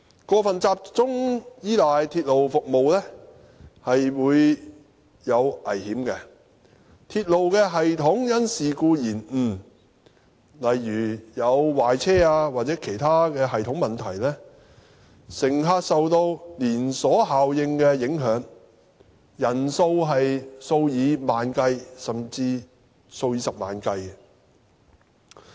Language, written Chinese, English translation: Cantonese, 過分集中依賴鐵路服務會有危險，當鐵路系統因事故延誤，例如壞車或其他系統問題，乘客受到連鎖效應影響，人數數以萬計，甚至數以十萬計。, It is risky to overly rely on railway service . In case of delays caused by incidents like train malfunction or other problems in the system the chain reaction resulted will affect tens of thousands or even hundreds of thousands of passengers